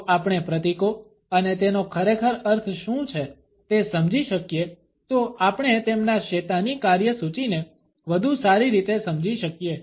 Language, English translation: Gujarati, If we can understand the symbolisms and what they really mean we can better understand their satanic agenda